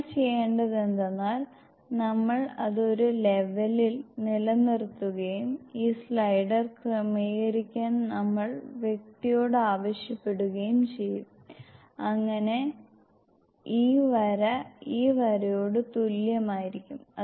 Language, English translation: Malayalam, In this you can see that you can move this slider up and what we have to do is, we will keep it at a level and we will ask the person to adjust this slider, so that this line is equal into this line